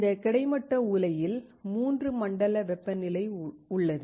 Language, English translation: Tamil, In this horizontal furnace, there are 3 zone temperature